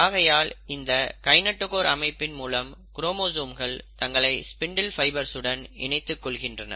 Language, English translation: Tamil, So this is the kinetochore structure with which the chromosomes will now attach themselves to the spindle fibres